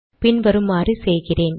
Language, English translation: Tamil, Let me do it as follows